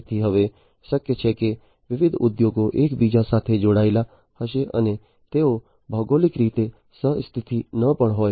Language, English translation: Gujarati, So, now, it is possible that different industries would be connected to each other and they may not be geographically co located